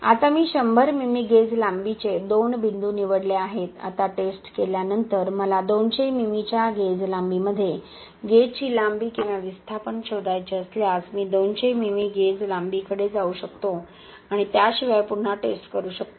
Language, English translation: Marathi, Right now, I have selected two points of 100 mm gauge length, now after testing if I need to find the gauge length or displacement in a gauge length of 200 mm, I can shift to the 200 mm gauge length and do the test again without repeating the test just by rerunning the software just by rerunning the video